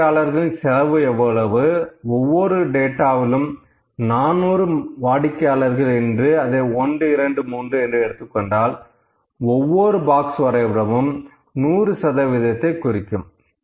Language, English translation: Tamil, So, what is the cost for the customer, let me say 400 customer for each data, there are 400 customers for 1, 2, 3, 1, 2, 3; 100 percent per box plot